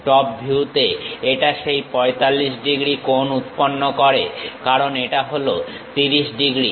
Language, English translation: Bengali, In the top view, it makes that angle 45 degrees; because this one is 30 degrees